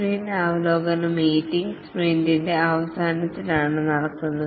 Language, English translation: Malayalam, The sprint review meeting, this is conducted at the end of the sprint